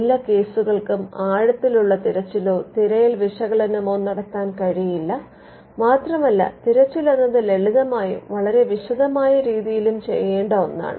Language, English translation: Malayalam, It is not possible to do an in depth search analysis for every case and search is again something that could be done in a simplistic way, and also in a very detailed way